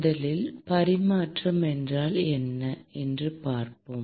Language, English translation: Tamil, Let us first look at what is transfer